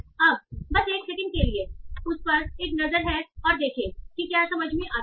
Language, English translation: Hindi, Now, just have a look at that for a second and see if that makes sense